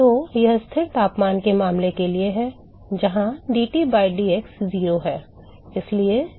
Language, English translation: Hindi, So, this is for the constant temperature case, where dTs by dx is 0